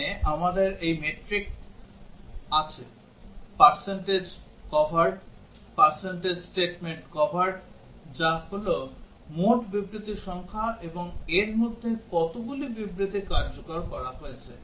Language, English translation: Bengali, Here we have this metric, percentage covered, percentage statement covered which is the total number of statements and out of which how many statements have got executed